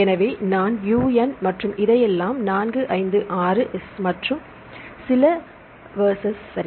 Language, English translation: Tamil, So, I put U N and all this 4 5 6 Is and some Vs right